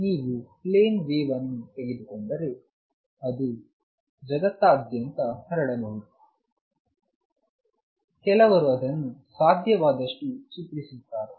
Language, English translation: Kannada, So, if you take a plane wave it may be spread all over space, some drawing it as much as possible